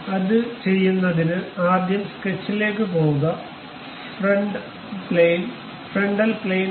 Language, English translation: Malayalam, So, to do that, the first one is go to sketch, frontal plane